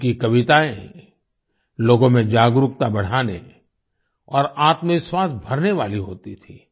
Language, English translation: Hindi, Her poems used to raise awareness and fill selfconfidence amongst people